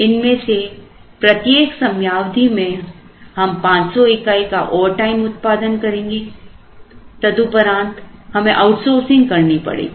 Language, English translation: Hindi, In each of these we will produce 500 overtime In each of these and then we will have to do outsourcing